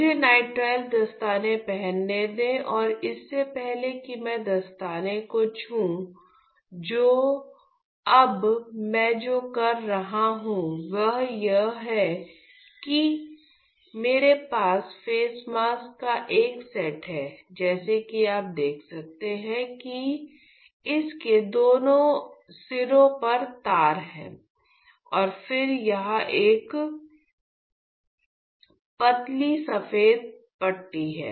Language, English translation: Hindi, Let me wear the nitrile gloves and even before I touch the gloves, what I am doing now is I have this set of face mask as you can see it has strings on both ends and then a thin white strip here